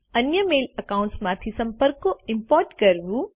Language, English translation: Gujarati, Import contacts from other mail accounts